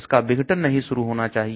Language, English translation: Hindi, It should not start degrading